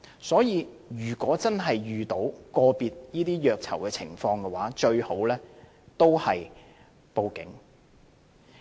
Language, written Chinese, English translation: Cantonese, 所以，如果真的遇到個別的虐囚情況，最佳方法都是報警。, Hence in case there are isolated incidents of inmates being mistreated the best approach is to report to the Police